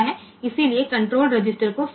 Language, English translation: Hindi, So, clear the control register